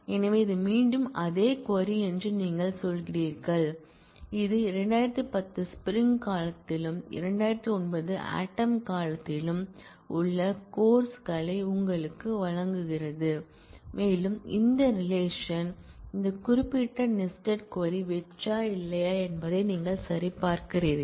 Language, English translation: Tamil, So, you are saying that this is again the same query which gives you the courses that are in spring 2010 and also in this fall 2009 and you check whether this relation, whether this particular nested query is an empty one or not